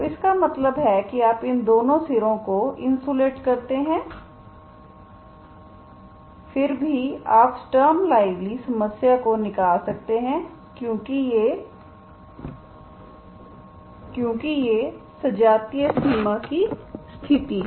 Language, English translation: Hindi, So that means you insulate these two ends, still you can extract stem levely problem because these are homogeneous boundary conditions